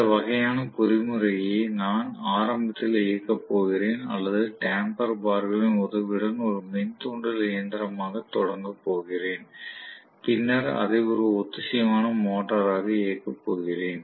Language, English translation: Tamil, So this kind of mechanism where I am going to run it initially or start as an induction machine with the help of damper bars and I am going to run it later as a synchronous motor